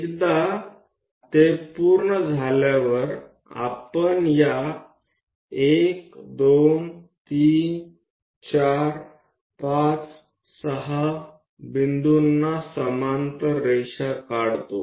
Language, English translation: Marathi, Once that is done we draw parallel lines to these points 1 2 3 4 5 6